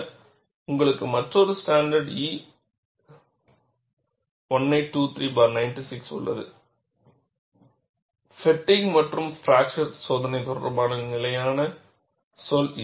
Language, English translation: Tamil, Then you have another standard E 1823 96, Standard terminology relating to fatigue and fracture testing